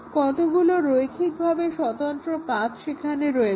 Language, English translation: Bengali, So, that is the definition of the linearly independent paths